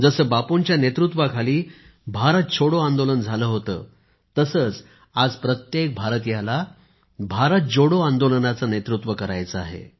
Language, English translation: Marathi, Just the way the Quit India Movement, Bharat Chhoro Andolan steered under Bapu's leadership, every countryman today has to lead a Bharat Jodo Andolan